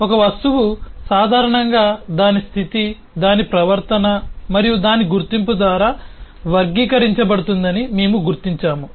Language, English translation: Telugu, we have noted that an object is typically characterized by its state, its behavior and its identity